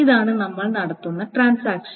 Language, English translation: Malayalam, This is the transaction that we are doing